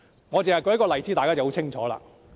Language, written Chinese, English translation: Cantonese, 我只要舉一個例子，大家便會很清楚。, I quote one example and the people will know